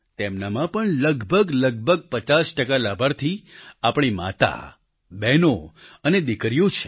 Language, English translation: Gujarati, About 50 percent of these beneficiaries are our mothers and sisters and daughters